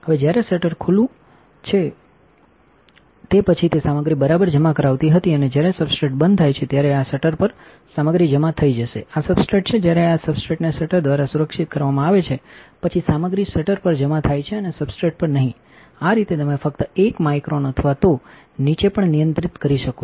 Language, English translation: Gujarati, Now, when the shutter is open then the it was depositing material right and when the substrate is closed the material will get deposited on the on this shutter this is a substrate when the substrate is protected by the shutter then the material is deposited on the shutter and not on the substrate thus you can only control 1 micron or even below